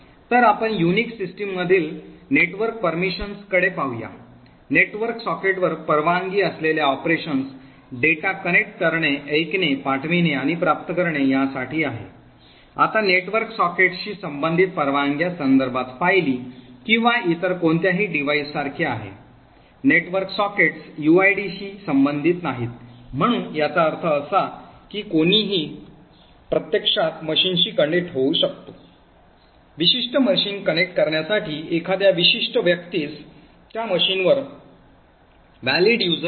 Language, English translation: Marathi, So let us look at the network permissions in a Unix system, the operations permitted on a network socket is to connect, listen, send and receive data, now with respect to permissions related to network sockets is like a unlike files or any other devices, network sockets are not related to uids, so this means anyone can actually connect to a machine, a particular person does not have to have a valid user account on that machine in order to connect to do particular machine